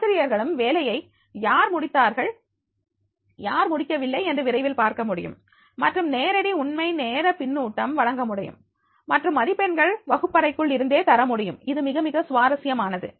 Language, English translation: Tamil, Teachers can quickly see who has or has not completed the work and provide direct, real time feedback and marks from within the classroom, this is very, very interesting